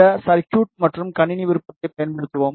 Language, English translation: Tamil, And use this circuit and system option